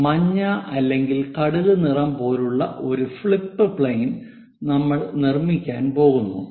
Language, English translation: Malayalam, So, that we are going to construct flip plane as that the yellow one or the mustard color